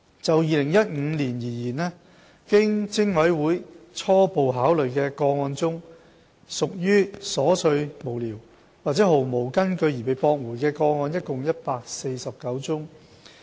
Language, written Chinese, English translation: Cantonese, 就2015年而言，經偵委會初步考慮的個案中屬瑣碎無聊或毫無根據而被駁回的個案共149宗。, As for 2015 149 cases were dismissed after the pre - preliminary investigation stage as they were considered frivolous or groundless